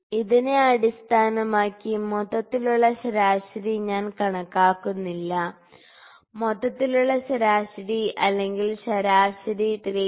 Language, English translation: Malayalam, So, based on this I am not calculating the exact overall average I can just say that the overall average or the mean is equal to is close to 3